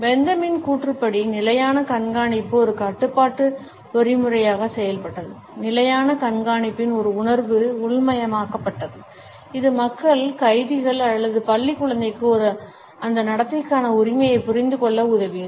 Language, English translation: Tamil, The constant observation according to Bentham acted as a control mechanism; a consciousness of constant surveillance was internalized, which enabled the people, the prisoners or the school children for that matter to understand the propriety of behaviour